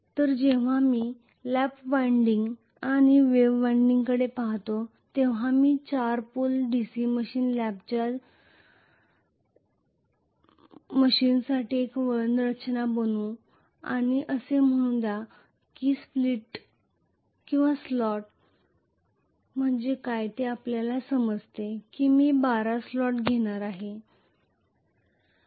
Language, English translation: Marathi, So when I look at lap winding and wave winding like this let me draw one winding structure for a 4 pole DC machine lap wound and let us say I am going to have 12 slots you understand what is a slot